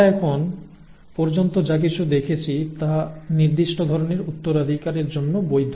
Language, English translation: Bengali, Whatever we have seen so far is valid for a certain kind of inheritance